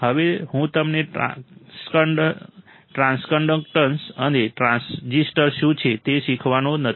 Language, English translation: Gujarati, Now, I am not going to teach you what is transconductance and transresistance